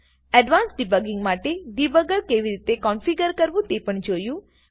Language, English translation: Gujarati, Also saw how to configure the debugger for advanced debugging